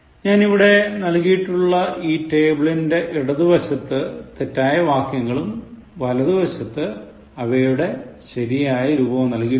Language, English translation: Malayalam, So, on the left side in the table that I am presenting before you, I have kept all incorrect sentences, on the right side you have correct forms